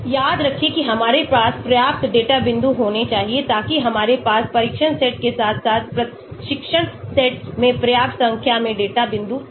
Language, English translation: Hindi, Remember that we should have enough data points so that we have enough number of data points in the test set as well as the training set